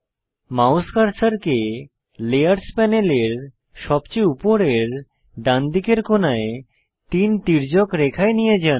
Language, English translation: Bengali, Move the mouse cursor to the three slanted lines at the top right corner of the layers panel